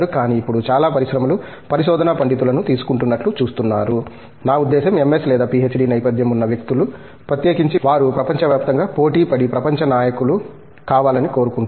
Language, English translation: Telugu, But, it is now you see quite a number of industries are taking research scholars, I mean people with an MS or PhD background, particularly because they would like to compete globally and become a global leaders